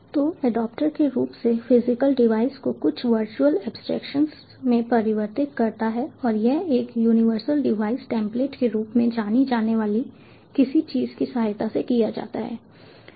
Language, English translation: Hindi, so the adaptor basically converts the physical devices into some virtual abstractions and this is done with the help of something known as the universal device template